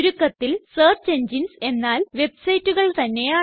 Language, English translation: Malayalam, After all, search engines are websites too